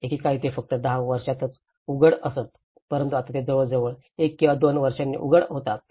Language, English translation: Marathi, Once upon a time, they used to open only in 10 years but now they are opening almost every 1 or 2 years